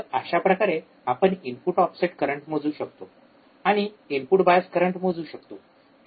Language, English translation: Marathi, So, we this is how we can measure the input offset current, and we can measure the input bias current